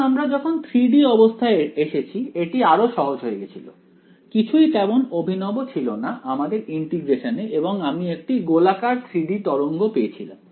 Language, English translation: Bengali, When we come to 3 D it got even simpler there was nothing fancy in the integration right and I got this spherical 3 D wave ok